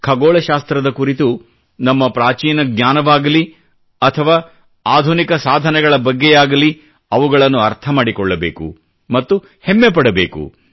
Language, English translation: Kannada, Whether it be our ancient knowledge in astronomy, or modern achievements in this field, we should strive to understand them and feel proud of them